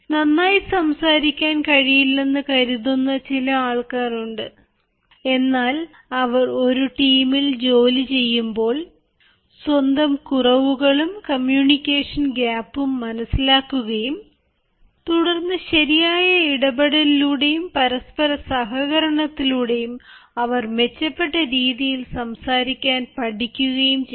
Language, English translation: Malayalam, there are people who often feel, ah, that they are not able to speak, but while they are working in a team they may become aware of some of the lapses, some of the gaps of their communication and through proper interaction and through proper cooperation, they can learn to speak better